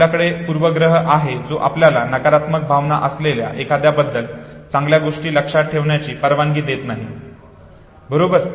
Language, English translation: Marathi, You have a bias which does not allow you to remember good things about somebody about whom you have a negative feeling, okay